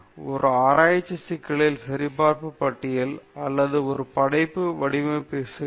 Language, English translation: Tamil, Checklist for a research problem okay or a creative design problem